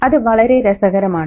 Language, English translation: Malayalam, And that's very interesting